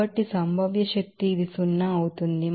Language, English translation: Telugu, So, potential energy it will be zero